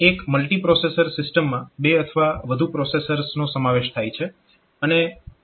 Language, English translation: Gujarati, So, a multiprocessor system that comprises of two or more processors